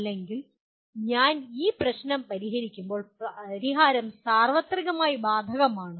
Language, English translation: Malayalam, It is not as if I solve this problem and the solution is applicable universally